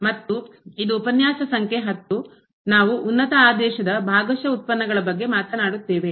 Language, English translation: Kannada, And this is lecture number 10 we will be talking about Partial Derivatives of Higher Order